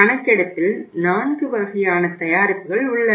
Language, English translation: Tamil, The survey included 4 kind of the products